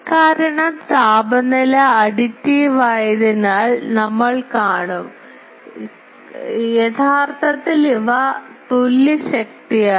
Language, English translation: Malayalam, Because we will see temperatures are additive because actually these are equivalent power